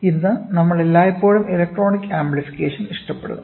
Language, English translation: Malayalam, Today we always prefer to have electronic amplification